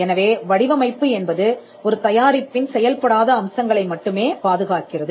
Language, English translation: Tamil, So, design only protects non functional aspects of a product